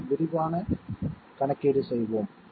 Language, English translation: Tamil, So let us have a quick calculation